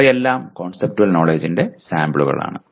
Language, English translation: Malayalam, They are all samples of conceptual knowledge